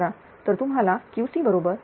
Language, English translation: Marathi, So, you will get Q c is equal to 168